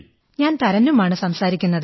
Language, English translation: Malayalam, This is Taranum speaking